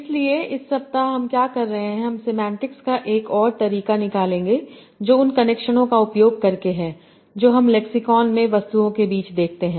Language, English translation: Hindi, So in this week what we will be doing, we will be taking another approach for semantics that is by using the connections that we see among items in a lexicon